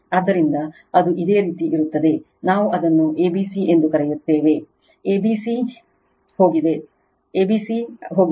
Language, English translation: Kannada, So, it will be your, what we call that is a, b, c is gone right a, b, c is gone